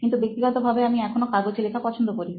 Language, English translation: Bengali, But I personally still like to write things on paper